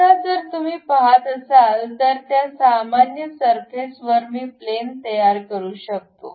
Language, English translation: Marathi, Now, if you are seeing, normal to that surface I can construct a plane